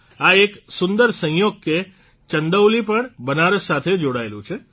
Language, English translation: Gujarati, Now it is also a coincidence that Chandauli is also adjacent to Banaras